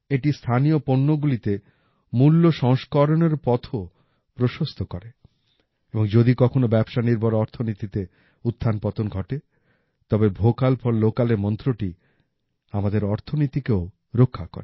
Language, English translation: Bengali, This also paves the way for Value Addition in local products, and if ever, there are ups and downs in the global economy, the mantra of Vocal For Local also protects our economy